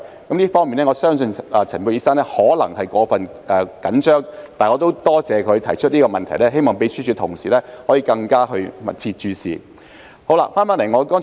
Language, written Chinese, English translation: Cantonese, 我相信陳沛然醫生在這方面可能過分緊張，但我亦多謝他提出這個問題，希望秘書處同事可以更加密切關注。, I believe Dr Pierre CHAN may be overly concerned about this . Nonetheless I thank him for bringing up this issue and I hope colleagues of the Secretariat will keep a closer watch on this